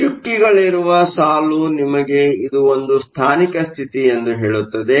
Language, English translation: Kannada, The dotted line just tells you, it is a localized state